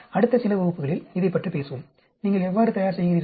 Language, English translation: Tamil, We will talk about it in the next few classes, how do you prepare